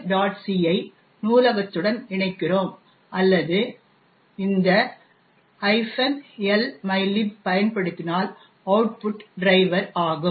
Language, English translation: Tamil, c to the library or using this minus L mylib, the output is driver